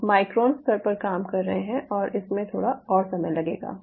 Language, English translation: Hindi, we you are doing at a micron level and these are still